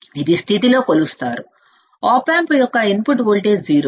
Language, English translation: Telugu, It is measured in the condition, a input voltage of the op amp is 0, right